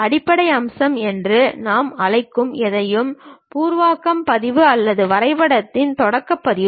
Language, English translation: Tamil, Anything what we call base feature is the preliminary version or the starting version of the drawing